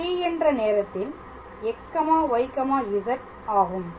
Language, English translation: Tamil, So, I can write x equals to x t